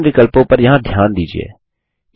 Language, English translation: Hindi, Notice the various options here